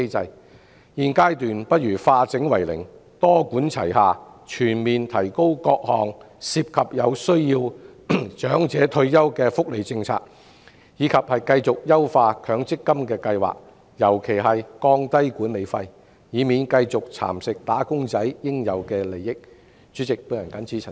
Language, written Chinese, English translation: Cantonese, 在現階段，不如化整為零，多管齊下，全面加強各項涉及有需要長者退休福利的措施，以及繼續優化強積金計劃，尤其是降低管理費，以免"打工仔"應有的利益繼續被蠶食。, At this stage it would be better to parcel up the whole plan into small parts and adopt a multi - pronged approach to comprehensively strengthen various measures involving retirement benefits for needy elderly and continue to enhance the MPF System especially reducing the management fees so as to prevent workers due benefits from being continually eroded